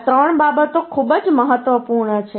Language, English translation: Gujarati, These three things are very important